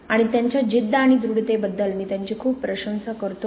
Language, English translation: Marathi, And I admire her a lot for her determination and tenacity